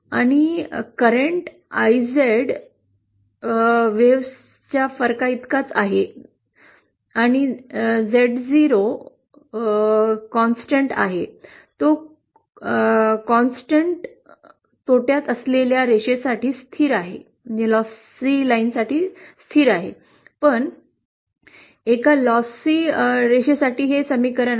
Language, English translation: Marathi, And the current IZ is equal to the difference of 2 waves and the Zo is a constant, it is a constant for a lossless line but for a lossy line, it is equal to this equation